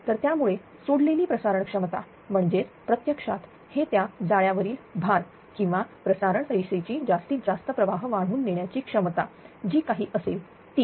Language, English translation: Marathi, So, that is why it release transmission capacity means actually it is basically that network loading or transmission line maximum carrying current carrying capacity whatever it has